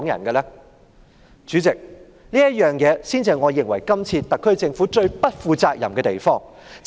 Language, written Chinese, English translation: Cantonese, 代理主席，這才是我認為這次特區政府最不負責任的地方。, Deputy President this is the area which I believe the SAR Government has acted most irresponsibly